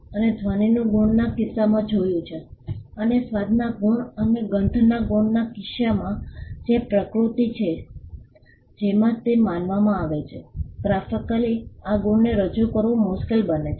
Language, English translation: Gujarati, We had seen in the case of sound marks, and in the case of taste marks and smell marks, because of the nature in which they are perceived, it becomes hard to graphically represent these marks